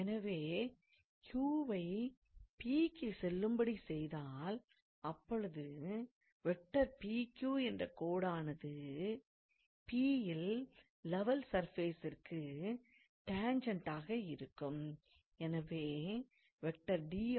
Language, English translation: Tamil, So, as Q goes to P, the line PQ tends to tangent at the point P to the level surface